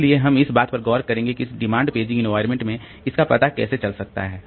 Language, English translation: Hindi, So, we will look into that how this is address to in this demand paging environment